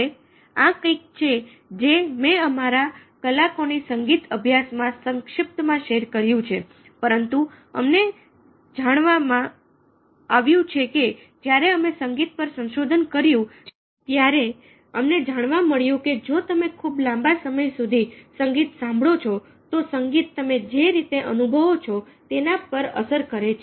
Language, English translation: Gujarati, now, this is something which i have already briefly said in our hour music study, but we find that, for instance, when we did research and music, we found that i mean, if you listen to music for a fairly long period of time, the music has its impact on the way you feel